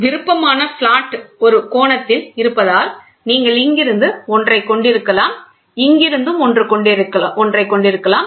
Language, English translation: Tamil, Because the optional flat is at an angle so, you might have one from here, one from here also